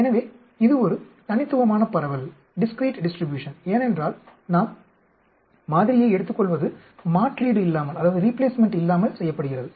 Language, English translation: Tamil, So, it is a discrete distribution, because we are taking sample is done without replacement